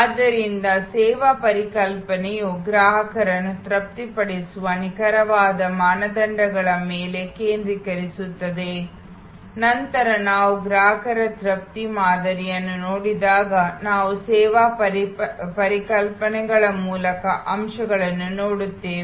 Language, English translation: Kannada, So, service concept focuses on the exact criteria that will satisfy the customer later on when we look at customer satisfaction models we will look at the key constituents of the service concepts